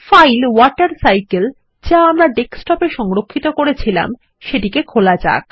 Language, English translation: Bengali, Let us open the file WaterCycle that was saved on the Desktop